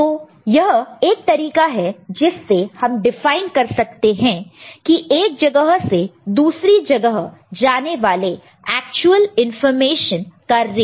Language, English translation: Hindi, So, this is the way one can actually define the rate at which actually information is going from one place to another